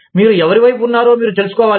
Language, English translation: Telugu, You must know, whose side, you are on